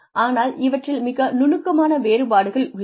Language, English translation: Tamil, But, there are subtle differences